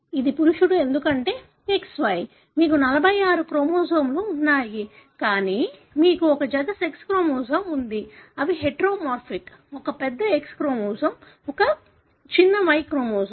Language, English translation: Telugu, This is male because XY, you have 46 chromosomes, but you have a pair of sex chromosome which are heteromorphic; one large X chromosome, one small Y chromosome